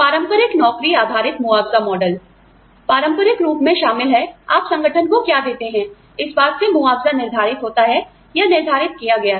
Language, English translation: Hindi, Traditional job based compensation model, includes traditionally, the compensation was decided, or has been decided on, what you give to the organization